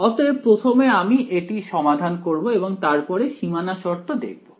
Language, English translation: Bengali, So, first I will solve this and then look at boundary conditions ok